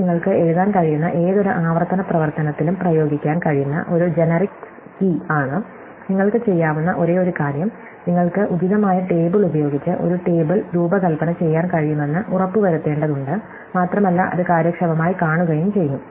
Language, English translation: Malayalam, So, this is a generic scheme which can be applied to any recursive function that you might write, the only thing you have do is you have to make sure that you can design a table with their appropriate look up and look it up it is efficiently